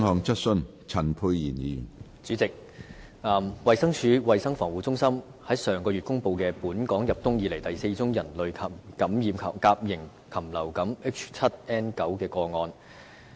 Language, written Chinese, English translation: Cantonese, 主席，衞生署衞生防護中心於上月公布本港入冬以來第4宗人類感染甲型禽流感 H7N9 的個案。, President last month the Centre for Health Protection of the Department of Health reported the fourth case of human infection of avian influenza A H7N9 in Hong Kong since the onset of this winter